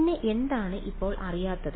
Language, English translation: Malayalam, And what is unknown now